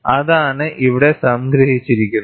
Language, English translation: Malayalam, That is what is summarized here